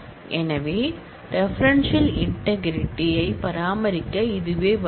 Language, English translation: Tamil, So, this is the way to maintain referential integrity